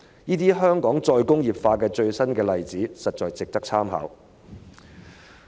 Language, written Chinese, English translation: Cantonese, 這些香港再工業化的最新例子，實在值得參考。, These latest cases of re - industrialization of Hong Kong are indeed worthy of our reference